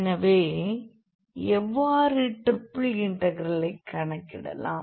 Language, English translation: Tamil, So, how to evaluate the triple integral